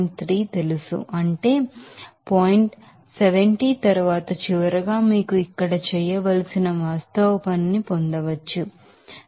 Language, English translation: Telugu, 3 by its efficiency factor, that is point 70 then finally, you can get the actual work to be done here 74